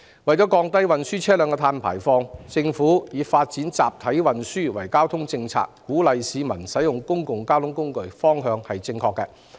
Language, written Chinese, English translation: Cantonese, 為降低運輸車輛的碳排放，政府以發展集體運輸作為交通政策的重點，鼓勵市民盡量使用公共交通工具，這個方向是正確的。, In order to reduce carbon emissions from transportation vehicles the Government has taken the right direction in developing mass transportation as a priority in its transport policy and encouraging people to make full use of public transport